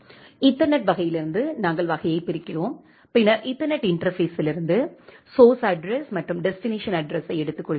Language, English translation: Tamil, From the ethernet type, we are looking into the type and then we are taking the source address and the destination address from the ethernet interface